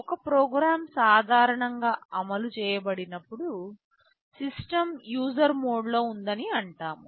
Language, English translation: Telugu, When a program is executed normally, we say that the system is in user mode